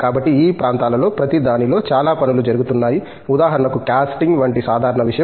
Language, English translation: Telugu, So, in each of these areas there is a lot of work that is going on, for example; simple thing like Casting